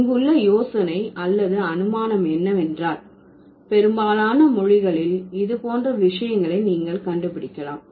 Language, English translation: Tamil, So, the idea here is that or the assumption here is that in most of the languages you would find things like that